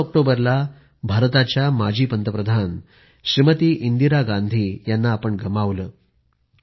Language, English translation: Marathi, On the 31st of October we lost former Prime Minister of India, Smt